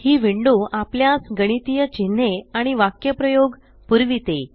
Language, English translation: Marathi, This window provides us with a range of mathematical symbols and expressions